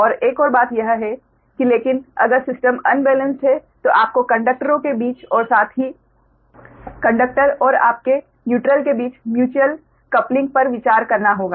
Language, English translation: Hindi, and another thing is that: but if system is unbalanced, then you have to consider that the mutual coupling between the conductors, as well as between the conductor and the, your neutral right